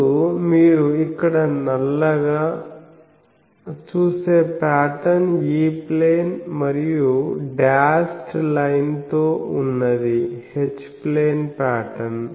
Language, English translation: Telugu, Then, this is the patterns you see black one is the black one is the E plane and the dashed one is the H plane pattern